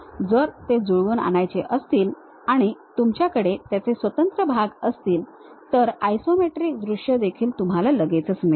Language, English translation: Marathi, If it is assembly you will have individual parts and also the isometric view you will straight away get it